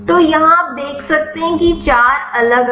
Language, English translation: Hindi, So, there are four different you can see here